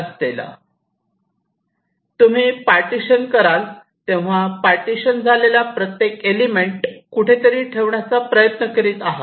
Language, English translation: Marathi, so when you do partitioning, you are rating the partitions, you are trying to put each of the partitioned elements somewhere